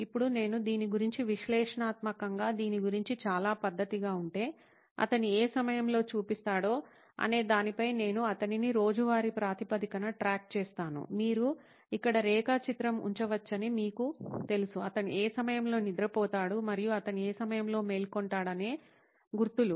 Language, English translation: Telugu, Now if I were analytical about this, very methodic about this, I would track him on a day to day basis on whether he actually shows up at what time does he show up, you know you can put plots here and see it actually marks at what time does he go to sleep and what time does he wake up